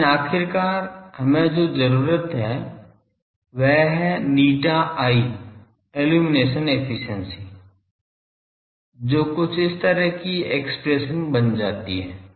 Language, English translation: Hindi, But finally, what we need is that eta i the illumination efficiency that becomes an expression something like this